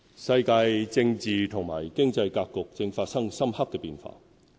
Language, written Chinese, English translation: Cantonese, 世界政治和經濟格局正發生深刻變化。, The worlds political and economic landscapes are undergoing profound changes